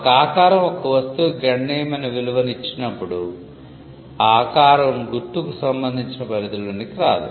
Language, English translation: Telugu, When a shape gives a substantial value to the good, then that shape cannot be a subject matter of a mark